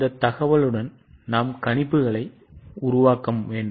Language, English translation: Tamil, With this information we have to make projections